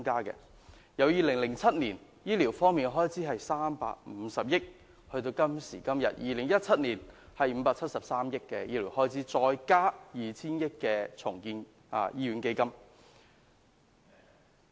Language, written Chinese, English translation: Cantonese, 2007年的醫療開支為350億元，而2017年的開支為573億元，還再加上 2,000 億元重建醫院基金。, The expenditure on health care in 2007 was 35 billion and in 2017 the expenditure has been raised to 57.3 billion coupled with a provision of 200 billion for hospital redevelopment